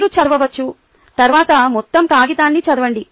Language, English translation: Telugu, you can read o[ut] read the entire paper later